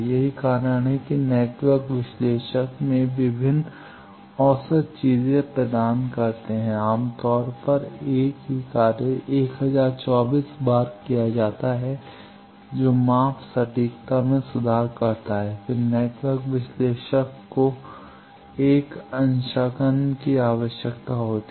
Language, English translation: Hindi, That is why network analyzer, they provide various averaging things typically the same assignment is done 1024 times that improves the measurement accuracy then network analyzer need a calibration